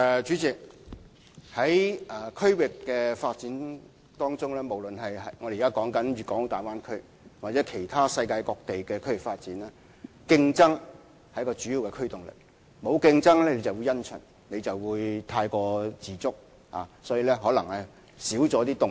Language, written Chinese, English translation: Cantonese, 主席，在區域發展當中，不論是我們現時談論的大灣區或其他世界各地的區域發展，競爭是一股主要推動力，沒有競爭便會因循、過於自滿，或會減少發展的動力。, President in terms of regional development be it the development of the Bay Area under discussion or regional development of other places around the world competition is the major impetus . Where there is no competition disincentive to change and complacency will prevail and the impetus for development will diminish